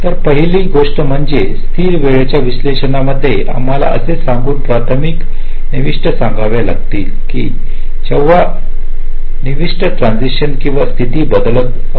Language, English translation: Marathi, ok, so the first thing is that in static timing analysis we have to annotate the primary inputs by saying that when the inputs are transiting or changing state